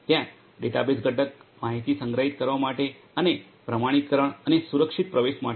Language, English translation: Gujarati, There is a database component for storing the information and for authentication and secure access